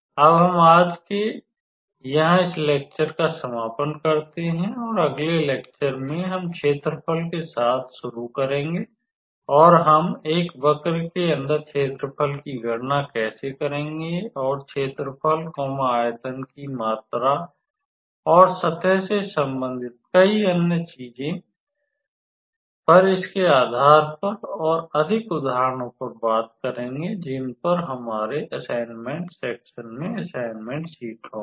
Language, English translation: Hindi, So, we will conclude this section here today and in the next class we will start with area and how do we calculate the area under a curve and several other things related to area volume and surface integral and we will work out more examples based on this topic in our assignment section, assignment sheets